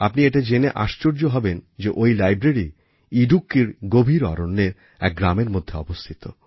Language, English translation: Bengali, You will be surprised to learn that this library lies in a village nestling within the dense forests of Idukki